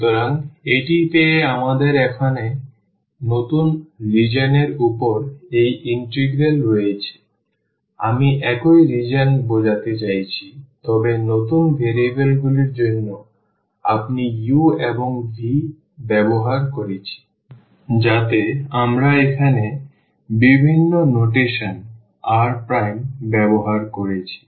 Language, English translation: Bengali, So, having this we have this integral here over the new region I mean the same region, but for the new variables u and v, so that is what we have used here different notation r prime